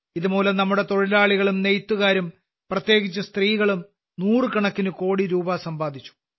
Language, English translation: Malayalam, Through that, our workers, weavers, and especially women have also earned hundreds of crores of rupees